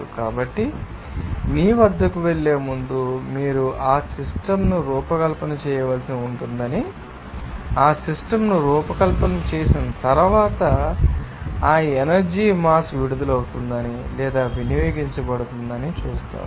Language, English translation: Telugu, So, before going to you know analyze that you have to design that system and after designing that system, you will see that this mass of energy will be released or consumed